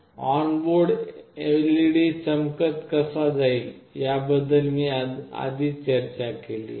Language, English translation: Marathi, I have already discussed how the onboard LED will glow